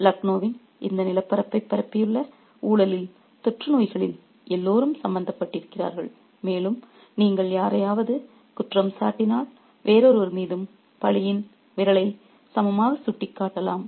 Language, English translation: Tamil, Everybody is implicated in the corruption, in the epidemic that has spread this landscape of Lucknow and if you can point a finger of blame at someone, you can equally point the finger of blame at somebody else too